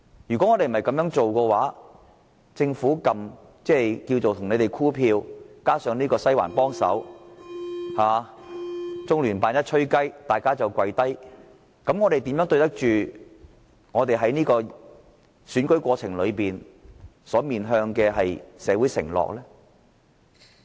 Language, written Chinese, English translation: Cantonese, 議會若無法做到此事，建制派只靠政府"箍票"，"西環"幫忙，"中聯辦吹雞，大家就跪低"，我們又怎樣對得起在選舉過程中面向社會作出的承諾？, If the Council fails to do so with the pro - establishment camp relying on the Government to secure votes seeking help from the Western District and succumbing to the pressure of the Liaison Office of the Central Peoples Government in the Hong Kong Special Administrative Region how can we live up to the promises that we made to the public in elections?